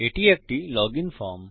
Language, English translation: Bengali, It is a login form